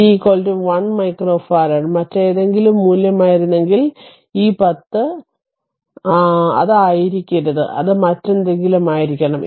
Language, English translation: Malayalam, If we have taken that c is equal to 1 micro farad, had it been some other value then this 10 it should not have been 10, it should be something else right